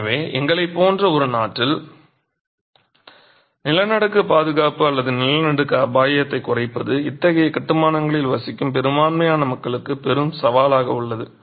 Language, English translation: Tamil, So, in a country like ours, earthquake protection or risk reduction in earthquakes of predominant majority of the population living in such constructions is a big challenge